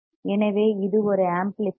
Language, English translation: Tamil, So, it is an inverting amplifier